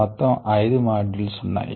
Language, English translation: Telugu, there were totally five modules